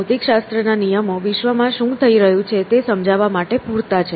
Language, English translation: Gujarati, So, the laws of physics are sufficient to explain what is happening in the world out there